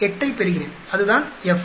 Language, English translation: Tamil, 68 that is the F